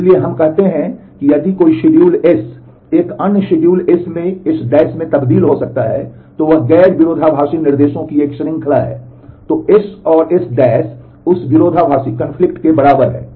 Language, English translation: Hindi, So, we say if a schedule S can be transformed into another schedule S’ by a series of swaps of non conflicting instructions, then S and S’ that conflict equivalent